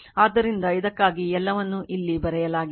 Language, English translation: Kannada, So, this is everything is written here for you